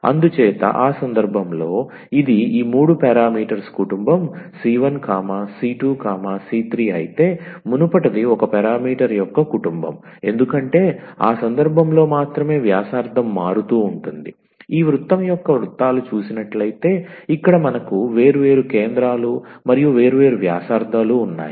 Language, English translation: Telugu, So, in that case this is a family of these three parameters c 1 c 2 c 3, while the earlier one was the family of one parameter, because the only the radius was varying in that case here we have different centers and different radius of the of these circles of this family of circle